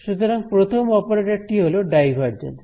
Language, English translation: Bengali, So, the first operator is the divergence